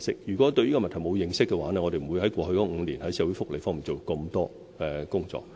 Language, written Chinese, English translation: Cantonese, 如果對這個問題沒有認識，我們便不會在過去5年在社會福利上做這麼多工作。, If we were unaware of this problem we would not have done so much in respect of social welfare over the past five years